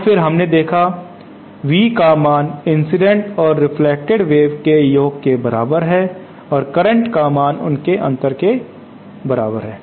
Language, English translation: Hindi, So then V we saw is equal to the sum of the incident and the reflected waves and current is equal to the difference between them